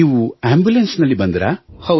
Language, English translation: Kannada, You came in an ambulance